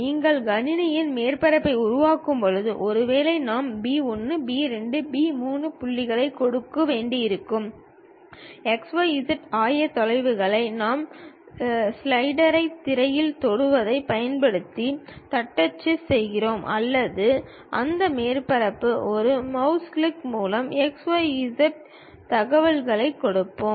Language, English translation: Tamil, When you are constructing surface on computer, perhaps we may have to give points P 1, P 2, P 3; x, y, z coordinates either we type it using stylus touch the screen or perhaps with mouse click on that surface, where we will give x, y, z information